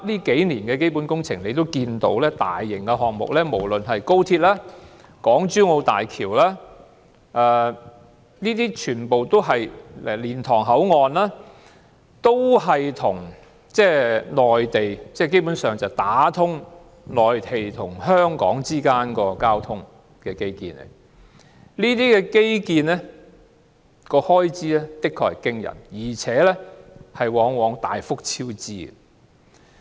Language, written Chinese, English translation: Cantonese, 近年的基本工程及大型項目，不論是高鐵、港珠澳大橋或蓮塘口岸，大體上全屬打通內地和香港交通的基建，而這些基建的開支的確驚人，且往往大幅超支。, All the capital works and large - scale projects in recent years be it XRL the Hong Kong - Zhuhai - Macao Bridge or the Liantang Boundary Control Point are basically infrastructure connecting the Mainland with Hong Kong . The expenditure on such infrastructure is really shocking . What is more there are often huge cost overruns